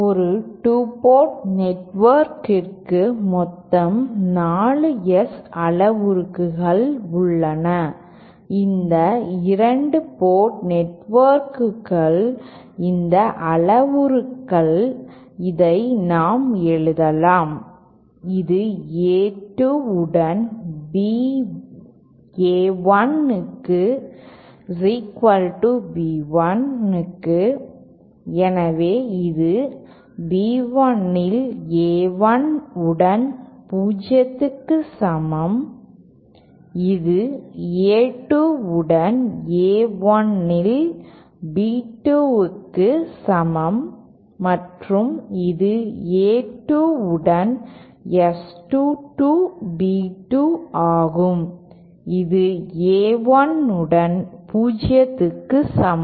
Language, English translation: Tamil, We have a total of 4 S parameters for a 2 port network these 2 port networks these parameters I can just write down like this is equal to B 1 on A 1 with A2, so this is B 1 on with A 1 equal to 0 then this is equal to B 2 upon A 1 with A 2 and this is S 2 2 B 2 upon A 2 with A 1 equal to 0